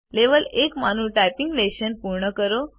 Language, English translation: Gujarati, Complete the typing lesson in level 1